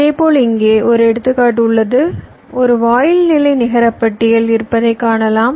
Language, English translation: Tamil, similarly, here i have an example where you can see that there is a gate level netlist here